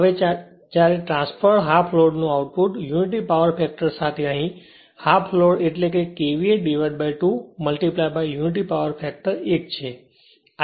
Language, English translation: Gujarati, Now, when output of transferred half load with unity power factor half load means KVA by 2 right into your of unity power factor 1